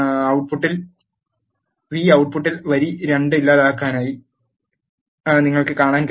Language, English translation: Malayalam, You can see that in the output the row 2 is deleted